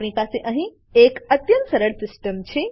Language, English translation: Gujarati, We have a very simple system here